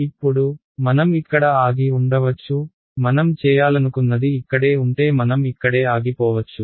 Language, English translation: Telugu, Now, we could have stopped right here; if this is all we wanted to do we could have stopped right here